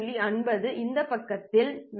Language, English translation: Tamil, 5 degrees on this side, 22